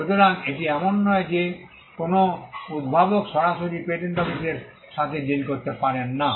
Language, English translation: Bengali, So, it is not that an inventor cannot directly deal with the patent office